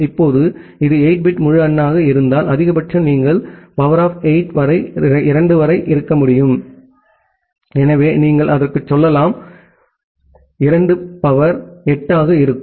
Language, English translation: Tamil, Now, if it is a 8 bit integer that means, a maximum you can have up to 2 to the power 8, so you can go up to that, so 2 to the power 8